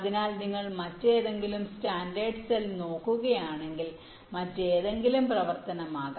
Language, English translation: Malayalam, so if you look at some other standard cell, maybe some other functionality, so this will also look very similar